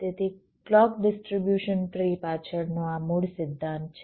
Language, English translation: Gujarati, so this is the basic principle behind clock distribution tree